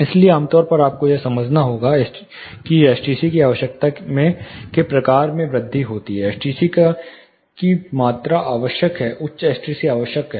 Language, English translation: Hindi, So, typically you have to understand as the type of STC requirement increases, the amount of STC is essential, higher STCs are essential